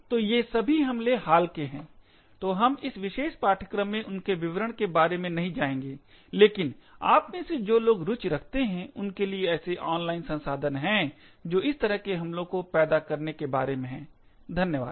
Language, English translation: Hindi, So, all of these attacks are quite recent, so we will not go into details about them in this particular course but for those of you who are interested there are a lot of online resources about how to create such attacks, thank you